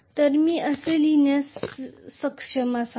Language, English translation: Marathi, So I should be able to write it like this